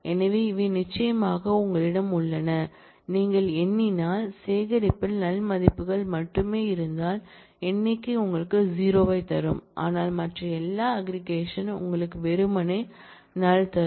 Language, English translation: Tamil, So, these are what do you have of course, if you count then, if the collection has only null values the count will return you 0, but all other aggregates will return you simply null